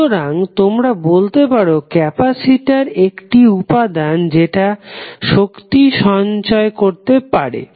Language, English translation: Bengali, So, therefore you can say that capacitor is an element which stores charges